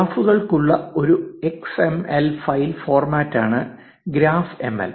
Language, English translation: Malayalam, Graph ML is an xml file format for graphs